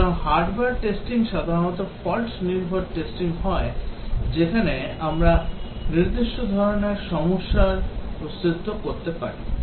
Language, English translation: Bengali, So, hardware testing is usually fault based testing, where we check the existence of certain types of problems